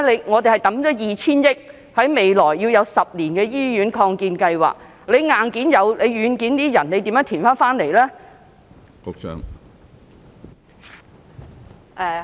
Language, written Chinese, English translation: Cantonese, 我們已投放 2,000 億元，在未來10年進行醫院擴建計劃，但即使有硬件，屬於軟件的人手如何填補呢？, We have already put in 200 billion for the hospital expansion projects in the coming decade . Even if we have got the hardware how shall we make up the manpower shortfall which is a software issue?